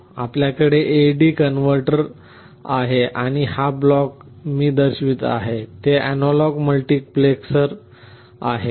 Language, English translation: Marathi, Here you have an A/D converter and this block that I am showing is an analog multiplexer